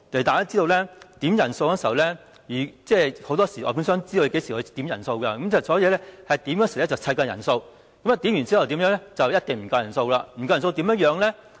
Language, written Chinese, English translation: Cantonese, 大家知道，很多時外判商知道甚麼時候會點人數，所以，點算人數的時候會湊夠人數，點算後一定沒有足夠人數，不夠人數又怎樣呢？, Contractors are often in the know when headcounts will be conducted so they will rally enough people during the headcount but it is surely another case afterwards . So what happens when there is not enough people?